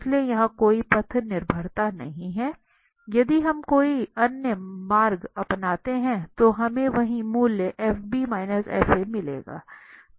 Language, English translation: Hindi, So there is no path dependency here if we take any other path, the same value we will obtain fb minus fa